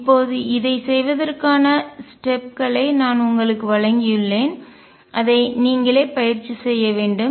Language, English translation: Tamil, Now, I have given you steps to do this you will have to practice it yourself